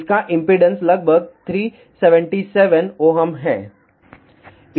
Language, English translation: Hindi, The impedance of that is about three 377 ohm